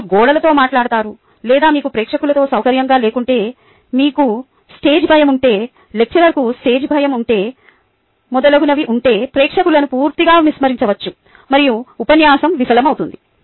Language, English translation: Telugu, you talk to walls or you know, ah, if you are not ah comfortable with an audience, if you have stage fright of the lecturer has stage fright, and so on, so forth, the audience could be completely ignored and then the lecture fails